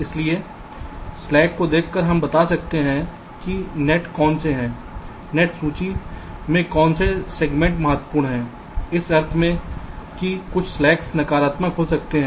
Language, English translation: Hindi, so by looking at the slack we can tell which of the nets are, which of the segments of the net list are critical in the sense that some of the slacks may become negative